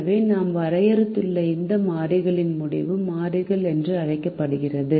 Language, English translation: Tamil, so this variable that we have defined are called decision variables